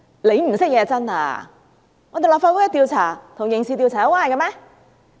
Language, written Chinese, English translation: Cantonese, 其實是他們不懂，立法會調查與刑事調查有關係嗎？, It is they who actually do not understand . Is the investigation by the Legislative Council related to criminal investigation?